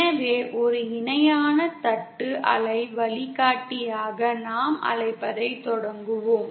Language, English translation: Tamil, So let us 1st start with what we call as a parallel plate waveguide